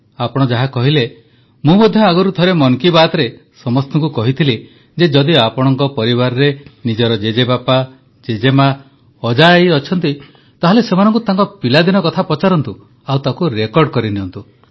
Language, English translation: Odia, And as you said, once in Mann Ki Baat I too had asked you all that if you have grandfathergrandmother, maternal grandfathergrandmother in your family, ask them of stories of their childhood and tape them, record them, it will be very useful, I had said